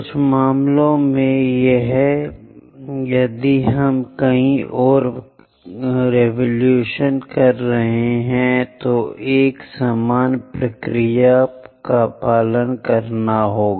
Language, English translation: Hindi, In certain cases, if we are making many more revolutions, similar procedure has to be followed